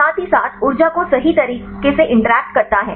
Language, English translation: Hindi, As well as interaction energy right